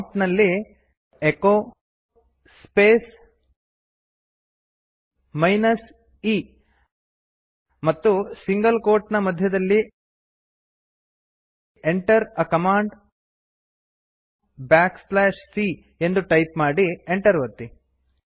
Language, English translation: Kannada, Type at the prompt echo space minus e within single quote Enter a command back slash c and press enter